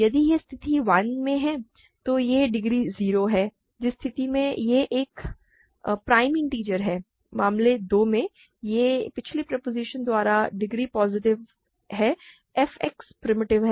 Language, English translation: Hindi, If it is in case 1, it is degree 0 in which case it is a prime integer; in case 2, it is positive degree by previous proposition f X is primitive